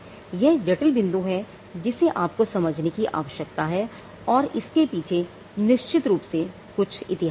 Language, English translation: Hindi, So, this is a critical point that you need to understand, and it has some history behind it